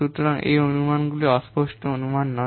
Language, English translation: Bengali, So these assumptions are not vague assumptions